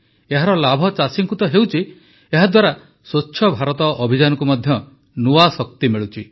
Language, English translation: Odia, Not only farmers are accruing benefit from this scheme but it has also imparted renewed vigour to the Swachh Bharat Abhiyan